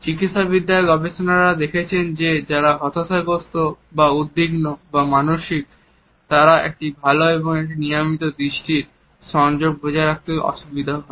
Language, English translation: Bengali, Medical researchers have found that amongst people who are depressed or anxious or psychotic, there is a difficulty in maintaining a good and frequent eye contact